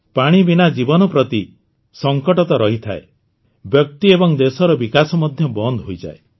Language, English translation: Odia, Without water life is always in a crisis… the development of the individual and the country also comes to a standstill